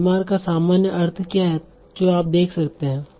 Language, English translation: Hindi, So what is the usual meaning of sick that you see